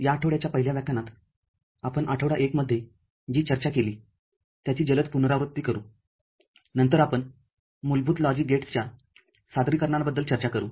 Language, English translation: Marathi, In the 1st lecture of this week we shall have a quick recap of what we discussed in week 1, then we shall discuss the various representations of basic logic gates